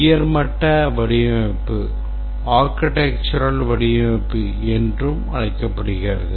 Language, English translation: Tamil, The high level design is also called as the software architecture